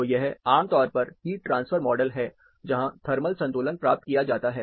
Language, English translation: Hindi, So, it is typically a heat transfer model, where thermal equilibrium is obtained